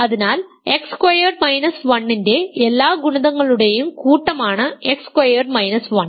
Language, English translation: Malayalam, So, X squared minus 1 is the set of all multiples of X squared minus 1